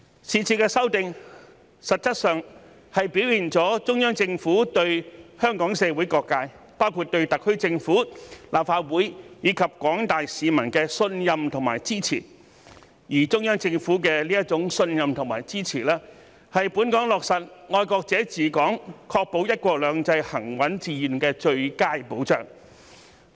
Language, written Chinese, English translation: Cantonese, 是次修訂實質上表現了中央政府對香港社會各界，包括對特區政府、立法會，以及廣大市民的信任和支持，而中央政府的這種信任和支持，是本港落實"愛國者治港"、確保"一國兩制"行穩致遠的最佳保障。, In essence this amendment exercise has demonstrated the Central Governments trust of and support for all sectors in Hong Kong including the SAR Government the Legislative Council and the general public . The Central Governments trust and support are the best assurance for the implementation of the principle of patriots administering Hong Kong and the smooth and long - term successful practice of the one country two systems policy